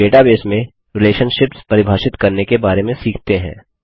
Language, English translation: Hindi, Let us now learn about defining relationships in the database